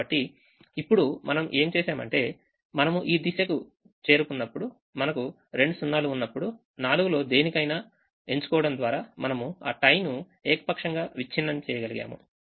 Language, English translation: Telugu, so what now we did is, when we reached this point, when we reached this point, when we had two zeros, we could have broken that tie arbitrarily by choosing any one of the four